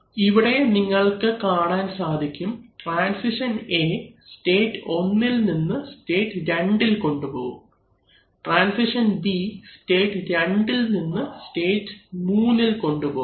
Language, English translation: Malayalam, We could go back, just for once, so you see here transition A takes the system from state 1 to state 2, transition B takes it from state 2 to state 3, transition C and D are in parallel, it could take state 3 to either 4 or 5